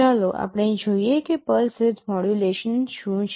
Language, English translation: Gujarati, First let us see exactly what pulse width modulation is